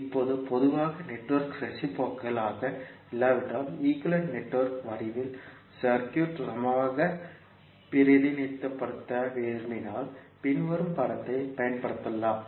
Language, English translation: Tamil, Now, in general if the network is not reciprocal and you want to represent the circuit in equivalent in the form of equivalent network you can use the following figure